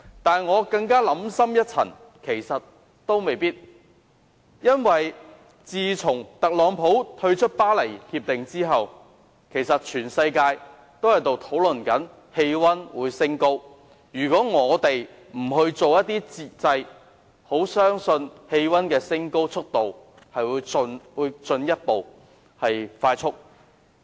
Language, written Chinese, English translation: Cantonese, 但是，我想深一層，其實也未必如此，因為自從特朗普退出《巴黎協定》後，全世界均在討論全球氣溫上升，如果我們不推出節制措施，相信氣溫上升的速度會進一步加快。, But on second thought that may not be the case . Since Donald TRUMPs withdrawal from the Paris Agreement the whole world is talking about global warming . If we do not introduce any regulatory measure I believe the speed of temperature rise will further accelerate